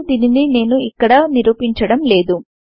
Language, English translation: Telugu, But we will not demonstrate it here